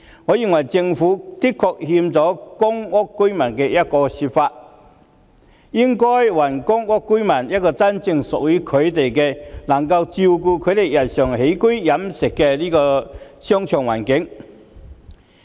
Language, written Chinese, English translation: Cantonese, 我認為政府的確虧欠了公屋居民，應該還公屋居民一個真正屬於他們、能夠照顧他們日常起居飲食的商場環境。, I think the Government does owe public housing residents and should return them shopping malls that truly belong to the residents and cater to their daily needs